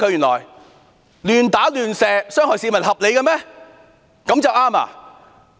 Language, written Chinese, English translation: Cantonese, 亂打亂射市民、傷害市民合理嗎？, Was it reasonable to assault and shoot members of the public indiscriminately?